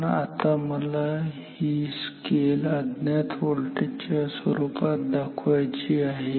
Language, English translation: Marathi, But, now I want to mark the scale in terms of the voltage unknown voltage ok